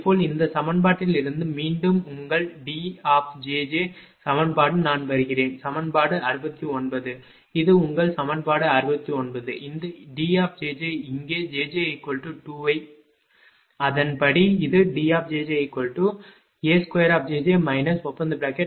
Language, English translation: Tamil, Similarly, from this equation that again your D j j equation I come that is equation 69, this is your equation 69 these D j j here put j j is equal to 2, right